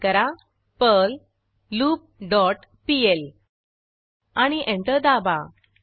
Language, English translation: Marathi, By Typing perl loop dot pl and press Enter